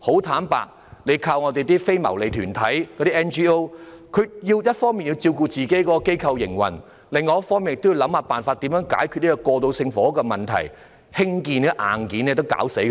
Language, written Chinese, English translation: Cantonese, 坦白說，不能只依賴非牟利團體，因為他們一方面要照顧其機構的營運，另一方面也要想辦法解決過渡性房屋的問題，單是興建這些硬件已令他們疲於奔命。, Candidly sole reliance on NGOs is not feasible as on one hand they will have to take care of the operation of their organization and on the other hand they will have to find solution to the problems on transitional housing . Simply constructing these hard wares would have made them restless